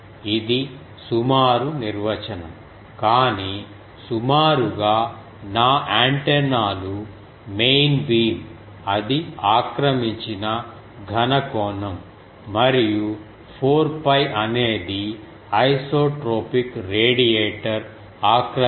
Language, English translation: Telugu, This is an approximate definition, but approximately my antennas main beam the solid angle it occupies, if I that is in the denominator and 4 pi is the solid angle occupied by the also propagated